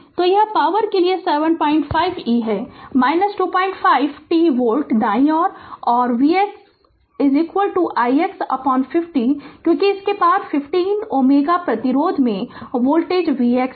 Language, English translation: Hindi, 5 t volt right and i x is equal to v x upon 15, because across this across 15 ohm resistance the voltage is v x